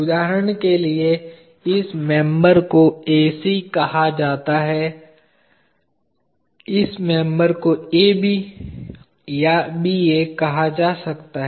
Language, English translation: Hindi, For example, this member can be called as AC, this member can be called as AB or BA